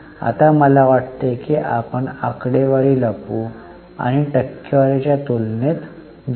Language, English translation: Marathi, Now, I think we will hide the figures and go for comparison with percentage